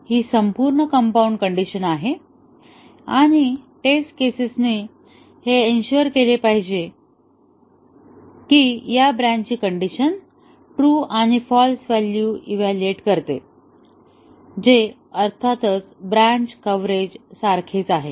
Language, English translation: Marathi, This is the entire compound condition and the test cases should ensure that this branch condition evaluates to true and false value, which is of course the same as the branch coverage